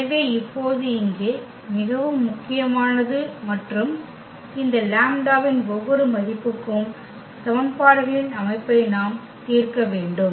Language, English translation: Tamil, So, it is very important now and here for each value of this lambda we need to solve the system of equations